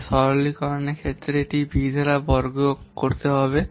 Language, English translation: Bengali, So on simplification it will give v square by V